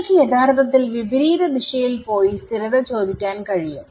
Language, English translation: Malayalam, So, you can in fact, go in the reverse direction and ask consistency